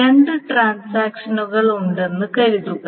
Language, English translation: Malayalam, Suppose there are two transactions